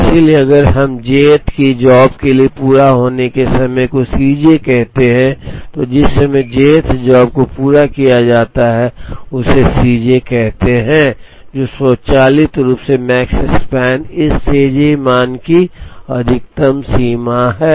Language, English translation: Hindi, So, if we call completion time for the j th job as C j, the time at which the j th job is completed that is called C j, then automatically the Makespan is the maximum of this C j values